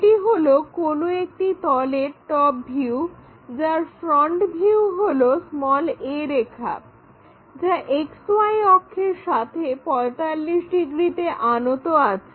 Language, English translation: Bengali, This figure is top view of some plane whose front view is a line 45 degrees inclined to xy